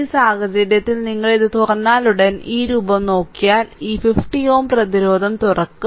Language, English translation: Malayalam, So, in this case if you do this look as soon as you open this one, this 50 ohm resistance is opened